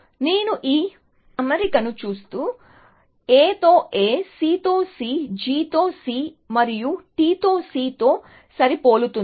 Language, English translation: Telugu, So, if this I look at this alignment, matching A with A, C with C, G with G and T with C